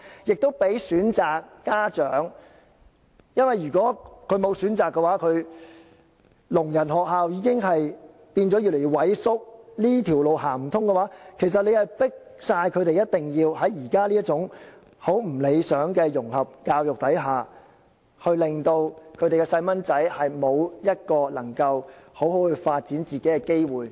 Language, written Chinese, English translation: Cantonese, 此做法亦可讓有關家長有選擇，聾人學校已經越來越萎縮，如果這條路行不通的話，其實是迫使他們一定要在現時這種極不理想的融合教育之下，令他們的小朋友沒有一個能夠好好發展自己的機會。, In this way there can be an additional choice for the parents concerned as there are fewer schools for the deaf . If the students cannot be admitted to these schools the parents are actually forced to place their children under the highly undesirable integrated education at present such that none of these children can develop their full potential